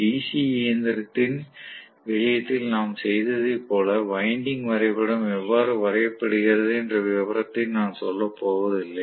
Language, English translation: Tamil, I am not going to really get into the detail of how the winding diagram is drawn like what we did in the case of DC machine